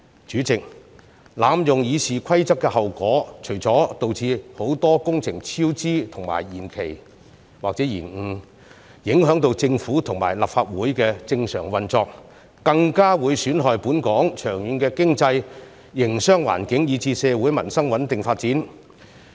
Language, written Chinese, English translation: Cantonese, 主席，濫用《議事規則》的後果，除了導致很多工程超支和延期或延誤，影響到政府和立法會的正常運作外，更會損害本港長遠的經濟營商環境，以至社會民生的穩定發展。, President the abuse of the Rules of Procedure had not only caused cost overruns and delays to many works projects it had also obstructed the normal operation of the Legislative Council and the Government . Worst still they would even damage the long - term economy and business environment of Hong Kong as well as the stable development of our society and peoples livelihood